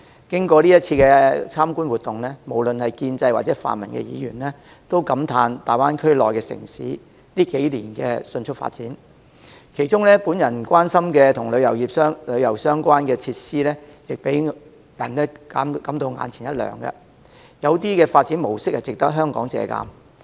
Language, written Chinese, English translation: Cantonese, 經過這次參觀活動，無論是建制或泛民議員，均感嘆大灣區內的城市近數年的迅速發展，其中我關心的與旅遊相關的設施亦讓人眼前一亮，有些發展模式值得香港借鑒。, After the visit both establishment and non - establishment Members are amazed at the rapid development of the cities in the Greater Bay Area over recent years . And the tourism facilities in particular which I am interested in are striking and some development models are worth using as a reference for Hong Kong